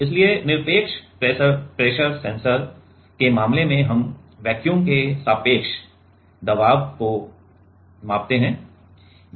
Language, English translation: Hindi, So, in case of absolute pressure sensor we measure the pressure relative to the vacuum